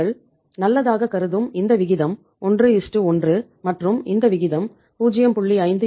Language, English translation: Tamil, This ratio you consider good is 1:1 and this ratio is considered good as 0